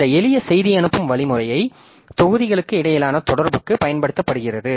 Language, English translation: Tamil, So, this simple message passing mechanism is used for communication between modules